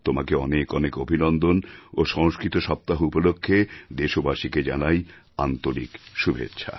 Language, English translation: Bengali, On the occasion of Sanskrit week, I extend my best wishes to all countrymen